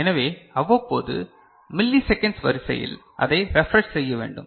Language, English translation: Tamil, So, periodically, of the order of millisecond, it need to be refreshed